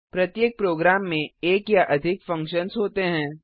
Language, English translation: Hindi, Every program consists of one or more functions